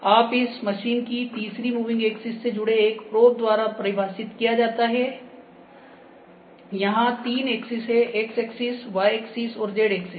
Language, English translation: Hindi, So, measurements are defined by a probe attached to the third moving axis of this machine a three axis, x axis, y axis and z axis